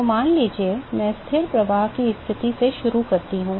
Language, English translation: Hindi, So suppose, I start with a constant flux condition